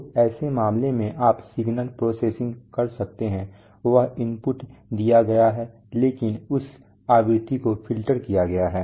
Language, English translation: Hindi, So in such a case you can do some signal processing that you okay, that input is given but that frequency is filtered out maybe using a notch filter